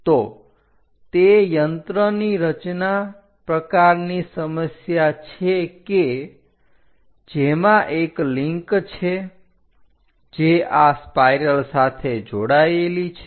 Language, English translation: Gujarati, So, it is a machine design kind of problem where there is a link which is connected to this spiral